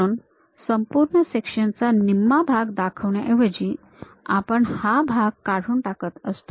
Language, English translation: Marathi, So, instead of showing complete half, full section kind of thing; we use remove this part